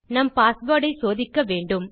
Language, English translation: Tamil, We need to check our password